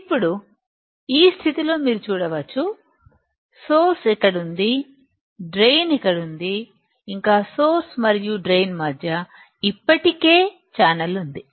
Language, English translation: Telugu, Now, in this condition you can see, source is here, drain is here and there already channel exists in between source and drain; there is already channel existing between source and drain